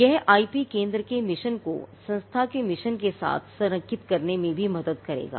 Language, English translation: Hindi, Now, this would also help to align the mission of the IP centre to the mission of the institution itself